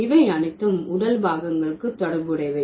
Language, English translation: Tamil, So, all these are related to the body parts